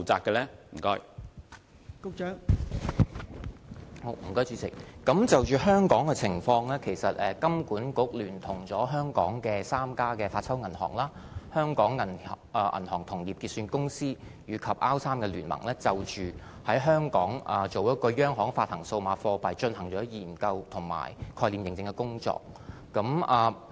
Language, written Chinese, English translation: Cantonese, 代理主席，就香港的情況，金管局聯同香港的3家發鈔銀行，香港銀行同業結算有限公司，以及 R3 聯盟，就着在香港推行央行發行數碼貨幣已進行研究工作。, Deputy President HKMA has joined hands with the three note - issuing banks the Hong Kong Interbank Clearing Limited and the R3 consortium to conduct a study on the introduction of CBDC in the context of Hong Kong